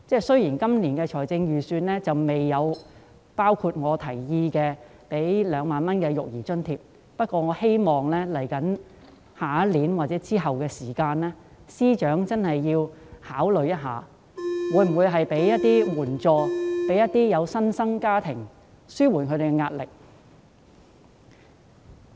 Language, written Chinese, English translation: Cantonese, 雖然今年的預算案並未包括我建議的2萬元育兒津貼，但我希望明年或日後，司長能夠考慮向新生家庭提供援助，以紓緩他們的壓力。, Although this years Budget has not included the 20,000 childcare allowance proposed by me I hope that the Financial Secretary will consider providing assistance to families with new - born babies next year or in the future so as to alleviate their pressure